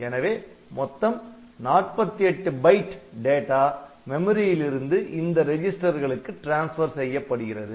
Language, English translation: Tamil, So, total 48 bytes of data will be transferred by this instruction from memory to the R0 to R 11 registers